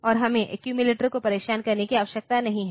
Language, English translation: Hindi, And we do not need to disturb the accumulator